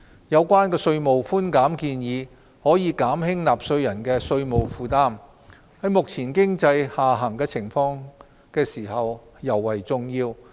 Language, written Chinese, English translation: Cantonese, 有關的稅務寬減建議可減輕納稅人的稅務負擔，在目前經濟下行時尤為重要。, The proposed tax concessions will ease the tax burden on taxpayers which are important during the current economic downturn